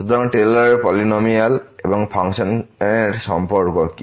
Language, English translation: Bengali, So, what is the relation of the Taylor’s polynomial and the function